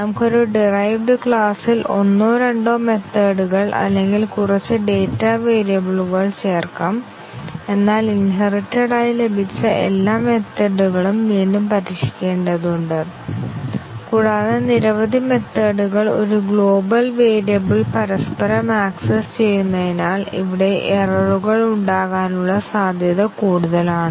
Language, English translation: Malayalam, We might in a derived class, we might just add one method or two methods or few data variables, but all those inherited methods have to be tested again and also we have more chances of faults occurring here because too many methods interacting with each other accessing a global variables, it is something like a procedural program where we have global variables and all methods are inter interacting through them